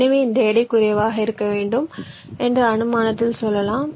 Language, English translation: Tamil, ok, so lets say its an assumption that i want that this weight to be less